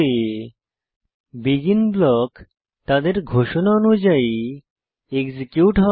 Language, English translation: Bengali, BEGIN blocks gets executed in the order of their declaration